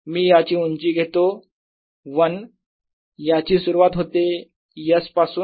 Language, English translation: Marathi, let me take the height of this to be l